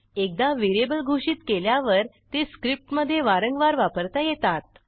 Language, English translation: Marathi, Once a variable is declared, it can be used over and over again in the script